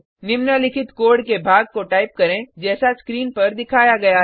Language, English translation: Hindi, Type the following piece of code as shown on the screen